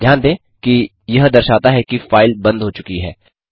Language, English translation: Hindi, Notice, that it now says the file has been closed